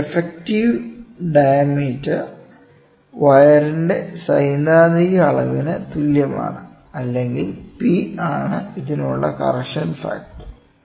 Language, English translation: Malayalam, So, this is the effective diameter is equal to theoretical dimension of the or the dimension of the wire and P is the correction factor with this